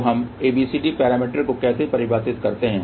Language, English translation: Hindi, So, how do we define ABCD parameter